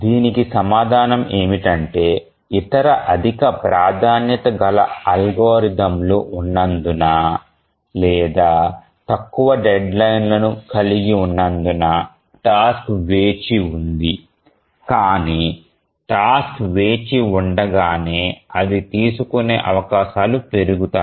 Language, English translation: Telugu, The answer is that as the task waits because there are other higher priority algorithms or having shorter deadlines they are taken up